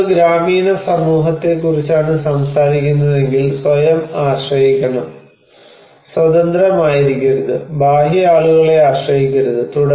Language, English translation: Malayalam, If we are talking about a village community, there should be self dependent, not independent, not depend to external people